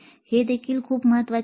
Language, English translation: Marathi, That is also very important